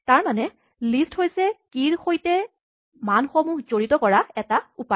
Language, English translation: Assamese, So, a list is one way of associating keys to values